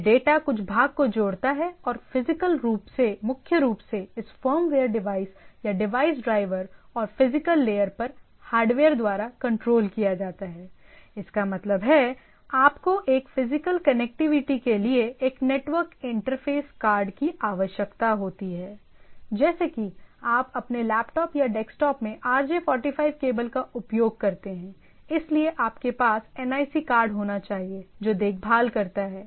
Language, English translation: Hindi, This data link some part and the physical is primarily controlled by this firmware devices or device drivers and hardware at the physical layer; that means, you require a network interface card, and network interface card to have a physical connectivity, like when you put a RJ 45 cable into your laptop or desktop, so you there should be NIC card which takes care